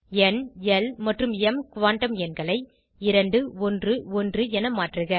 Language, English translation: Tamil, Edit n, l and m quantum numbers to 2 1 1